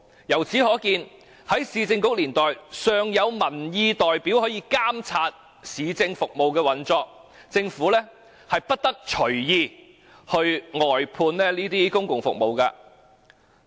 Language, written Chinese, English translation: Cantonese, 由此可見，在市政局年代，尚有民意代表可以監察市政服務的運作，政府不得隨意外判這些公共服務。, It indicates that in the era of the Urban Council there were still representatives of public opinion to monitor the operation of government services and the Government could not arbitrarily outsource these public services